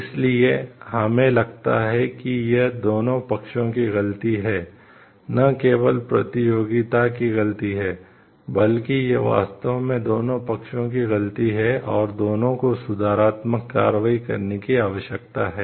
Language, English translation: Hindi, So, this what we find is both the parties are at fault it is not like it is only competitor is at fault, but it is really both the parties who are at fault and, corrective actions needs to be taken by both